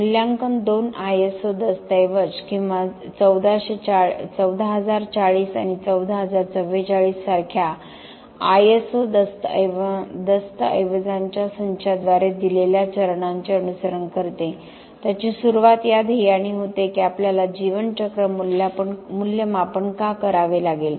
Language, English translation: Marathi, The assessment follows the steps given by two ISO documents or a set of ISO documents like the 14040 and 14044, its starts with the goal why do we have to do lifecycle assessment